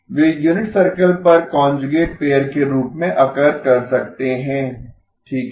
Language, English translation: Hindi, They can occur as a conjugate pair on unit circle okay